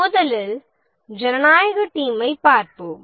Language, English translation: Tamil, First, let's look at the democratic team